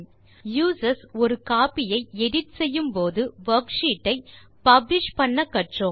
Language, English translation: Tamil, We have learnt how to publish the worksheets to enable users to edit a copy